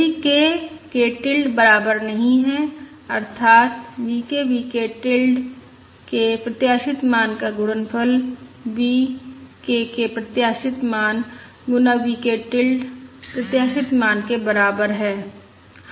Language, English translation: Hindi, if k is not equal to that is expected value of the product V k, V k tilde is expected value of V k times expected value of V k tilde